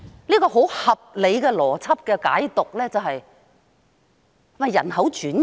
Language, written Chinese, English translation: Cantonese, 一個很合理的邏輯解讀，是她想進行人口轉移嗎？, A very reasonable interpretation of her words is this Does she want to do a population transfer?